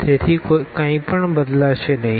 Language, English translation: Gujarati, So, nothing will change